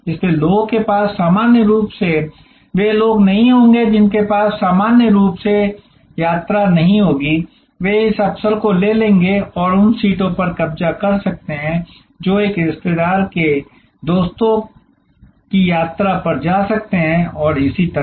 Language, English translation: Hindi, So, people normally would not have those people who normally would not have travel will take this opportunity and occupied those seats may visit a relatives visit friends and so on